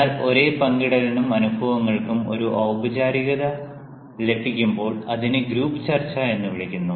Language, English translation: Malayalam, but when the same sharing and experiences get a formal touch, it is called group discussion